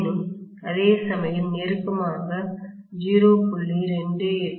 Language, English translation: Tamil, Whereas almost closer to 0